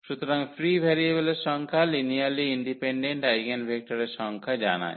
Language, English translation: Bengali, So, the number of free variables tells about the number of linearly independent eigenvectors